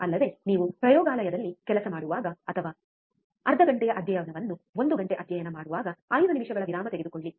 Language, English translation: Kannada, Also, whenever you work in a laboratory or when you study for half an hour study for one hour take 5 minutes break